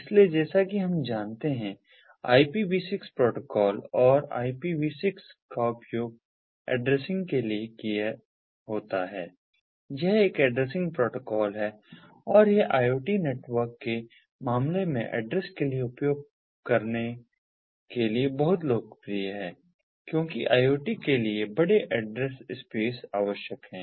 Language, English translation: Hindi, so using ipv six protocol and ipv six, as we know, is for addressing its, an addressing protocol, and it is very popular for use ah for addressing in the case of iot networks because of the large address space that is required for iot